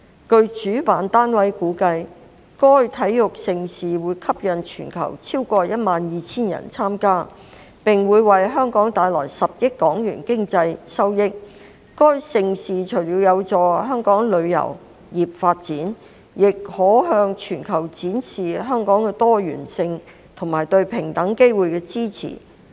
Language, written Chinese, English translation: Cantonese, 據主辦單位估計，該體育盛事會吸引全球超過12000人參加，並會為香港帶來10億港元的經濟收益；該盛事除了有助香港旅遊業發展，也可向全球展示香港的多元性和對平等機會的支持。, According to the estimation of the organizers this sports event will attract more than 12 000 participants from around the world bringing economic benefits of HK1 billion to Hong Kong; and apart from facilitating the development of the tourism industry in Hong Kong this event will showcase to the world Hong Kongs diversity and its support for equal opportunities